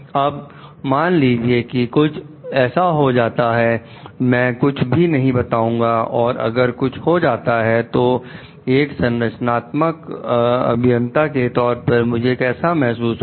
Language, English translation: Hindi, Now, if something happens like, I do not disclose it and if something happens; how do I feel as a structural engineer